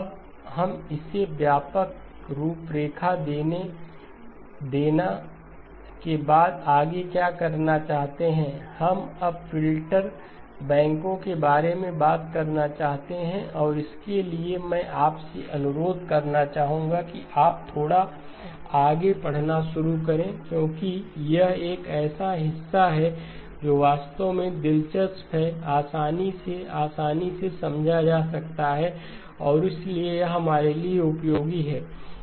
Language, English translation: Hindi, Now what we would like to do next is having given the broad framework, we now would like to talk about the filter banks and for this I would request you to start reading a little bit ahead, because this is a part that is actually interesting, easily, easily understood and so it is helpful for us